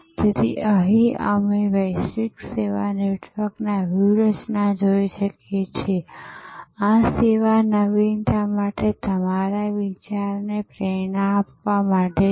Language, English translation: Gujarati, So, here we look at the global service network strategy, this is to inspire your thinking for service innovation